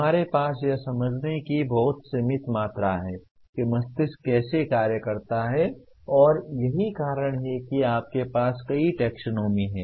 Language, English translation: Hindi, We have a very very limited amount of understanding of how the brain functions and that is the reason why you end up having several taxonomies